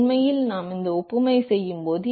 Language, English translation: Tamil, In fact, when we make this analogy